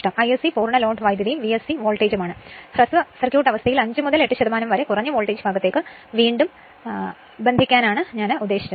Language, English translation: Malayalam, I s c is the Full load current and V s c is the the voltage; what I told you reconnect under short circuit condition to the low voltage side that is 5 to 8 percent right